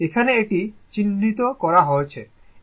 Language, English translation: Bengali, Here it is marked and it is a V m